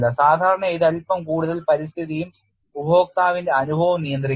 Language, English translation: Malayalam, Generally it is slightly more governed by the environment and the experience of the user